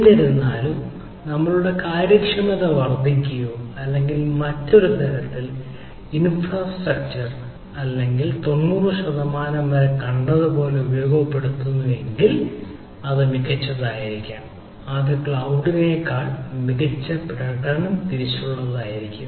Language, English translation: Malayalam, however, if your efficiency increases, or in other sense, that you are your ah infrastructure or your ah in house infrastructure is, if it is heavily utilized, like a we have seen up to ninety percent then it it may be better, then ah, it will be performance wise better than cloud, right